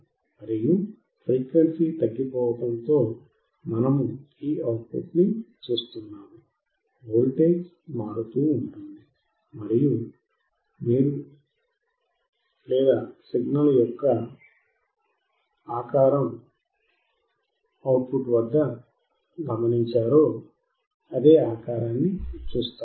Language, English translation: Telugu, And with each decrease of frequency, we will or a step of frequency, we will see this output voltage which keeps changing, and you will see what kind of signal or what kind of the shape of signal we observe at the output